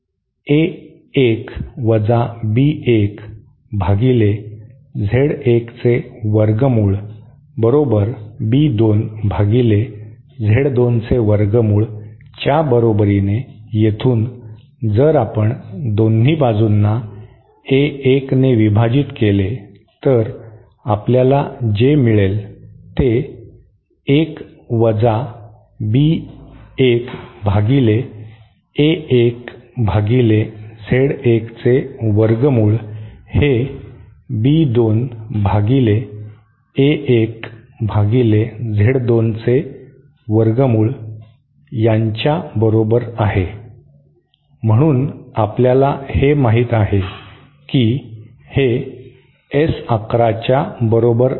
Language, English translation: Marathi, As A 1 minus B 1 upon square root of Z 1 is equal to plus B2 upon square root of Z 2 so from here if we divide both sides by A 1 then what we get is 1 minus B 1 upon A 1 upon square root of Z 1 is equal to B 2 upon A 1 upon square root of Z 2, so we know that this is equal to S 1 1